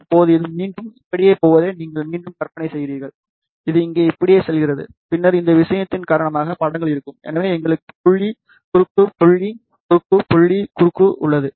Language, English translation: Tamil, Now, you again imagine this going all the way like this, this one going all the way like this over here, then because of these thing, there will be images, so we have dot, cross, dot, cross, dot, cross